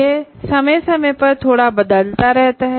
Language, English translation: Hindi, This may keep changing slightly from time to time